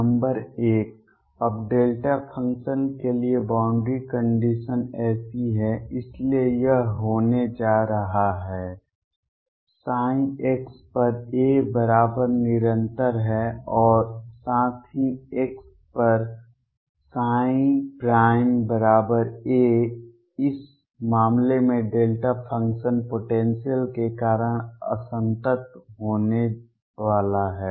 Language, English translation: Hindi, Number one: now the boundary condition is like that for a delta function so it is going to be that; psi at x equals a is continuous and also psi prime at x equals a is going to be discontinuous in this case, because of delta function potential